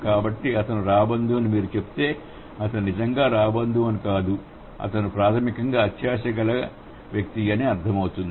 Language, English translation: Telugu, So, if you say he is a vulture, that doesn't mean that he is literally a vulture, he is basically a greedy person